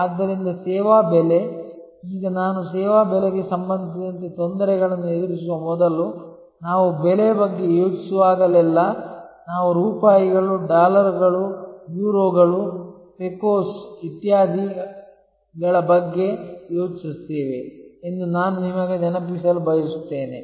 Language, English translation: Kannada, So, service pricing, now before I get to the difficulties with respect to service pricing, I would like to remind you that whenever we think of price, we think of rupees, dollars, Euros, Pecos and so on